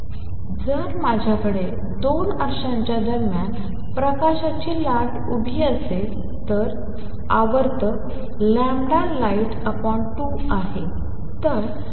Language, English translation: Marathi, So, if I have standing wave of light between say 2 mirrors, then the periodicity is lambda light divided by 2